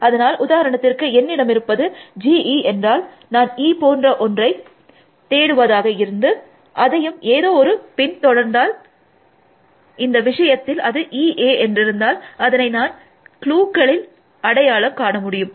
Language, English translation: Tamil, So, for example, G E is what I have, and I am looking for something like E followed by something, which is E A in this case, and will find it in the clues